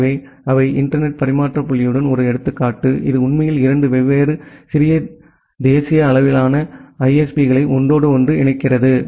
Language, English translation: Tamil, So, they are one example of internet exchange point, which actually interconnects 2 different national level ISPs